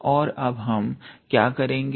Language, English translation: Hindi, And then what we will do